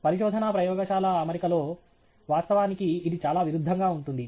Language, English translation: Telugu, In a research lab setting, actually, quite the opposite is true